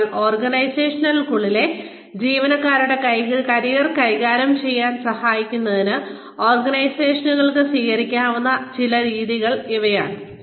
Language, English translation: Malayalam, So, these are some of the methods in the, that organizations can adopt, to help manage the careers of employees, within the organizations